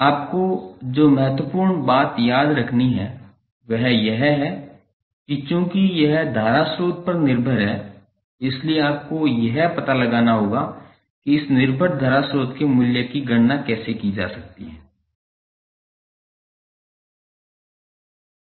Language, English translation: Hindi, The important thing which you have to remember is that since it is dependent current source you have to find out how the value of this dependent current source would be calculated